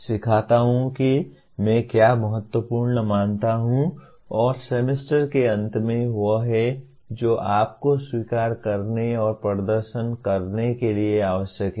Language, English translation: Hindi, I teach what I consider important and at the end of the semester that is what you are required to accept and perform